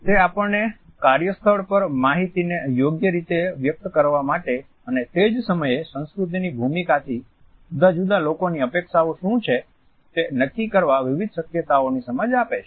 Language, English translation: Gujarati, It also provides us insight into different possibilities at the work place in order to share information properly and at the same time to judge what are the expectations of different people from leadership role